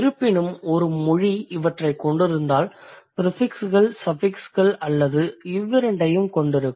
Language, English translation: Tamil, However, if a language has this, it also have the prefixes, suffixes are both